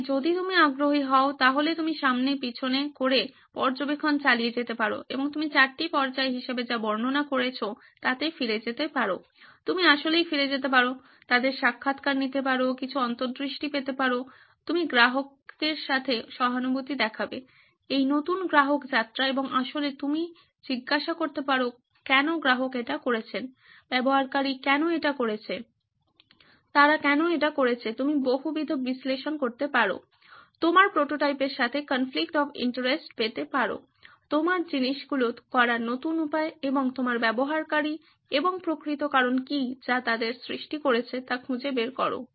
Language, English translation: Bengali, So if you are interested you can keep going back and forth and observe and you can also go back to whatever is describing as the 4 stages, you can actually go back, interview them, get some insights, you are empathizing with the customer, with this new customer journey and actually you can ask so why did the customer do with this, why did the user do this, why have they done this, you can do multi why analysis, get a conflict of interest with this your prototype, your new way of doing things and your user and find out what is actual cause which is causing them